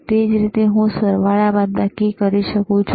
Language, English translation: Gujarati, Similarly, I can do addition, similarly I can the subtraction right